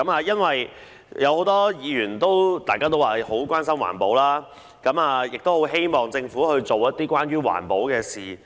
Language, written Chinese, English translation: Cantonese, 有很多議員都關心環保，樂見政府做一些推動環保的事。, Many Members are concerned about environmental protection and glad to see the Governments efforts in promoting environmental protection